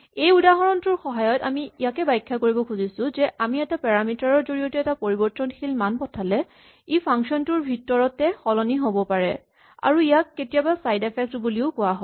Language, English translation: Assamese, This is just to illustrate that if we pass a parameter, through a parameter a value that is mutable it can get updated in function and this is sometimes called a side effect